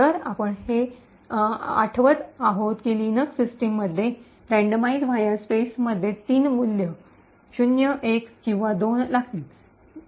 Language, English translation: Marathi, So, we recollect that, in the Linux systems the randomize va space would take 3 values 0, 1 or 2